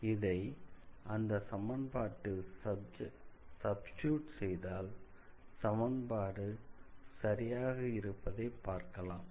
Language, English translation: Tamil, So, if you substitute this solutions here, then it will satisfy this equation